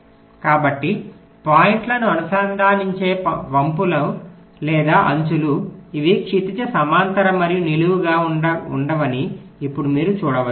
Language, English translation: Telugu, so now you can see that the arcs, or the edges that are connecting the points, they are not horizontal and vertical only